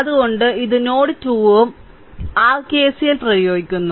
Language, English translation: Malayalam, So, this is node 2 also you apply your KCL right